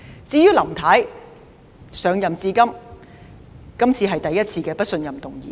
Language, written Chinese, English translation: Cantonese, 至於林太，這是她上任至今第一次面對不信任議案。, As for Mrs LAM this is the first time she faces a motion of no confidence since assumption of office